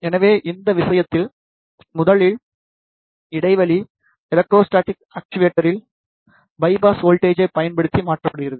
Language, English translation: Tamil, So, in this case firstly, the gap is changed by the electrostatic actuator by applying the bias voltage